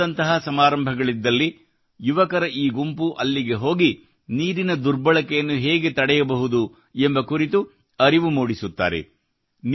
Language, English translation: Kannada, If there is an event like marriage somewhere, this group of youth goes there and gives information about how misuse of water can be stopped